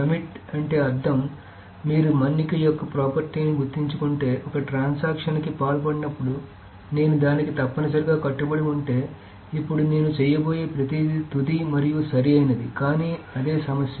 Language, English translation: Telugu, Committed meaning if you remembered the property of durability, when a transaction commits it essentially says that, okay, if I am committed then everything that I am going to do is final and correct